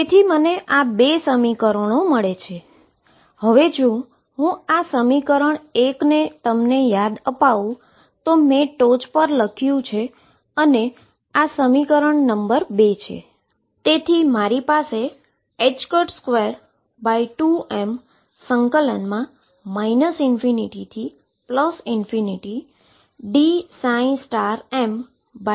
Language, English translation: Gujarati, So, I have got these 2 equations let me remember them number 1 is this one, that I wrote on top and number 2 is this equation